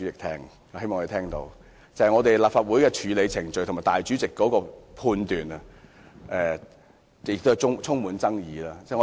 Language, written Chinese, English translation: Cantonese, 《條例草案》在立法會的處理程序，以至主席的裁決，都充滿爭議。, The handling of the Bill as well as the ruling of the President is highly controversial